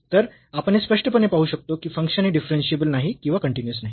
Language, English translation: Marathi, So, we can clearly see then the function is not differentiable or is not continuous